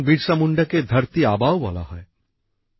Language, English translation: Bengali, Bhagwan Birsa Munda is also known as 'Dharti Aaba'